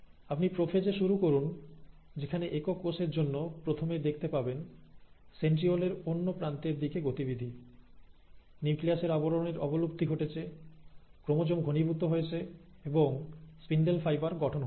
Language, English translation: Bengali, So, you start in prophase where for the single cell, you find that the first, there is a movement of the centrioles to the other end, there is a disappearance of the nuclear envelope, there is the condensation of the chromosomes and there is the formation of the spindle fibre